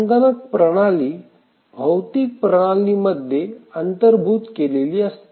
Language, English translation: Marathi, So, the computer system is embedded within the physical system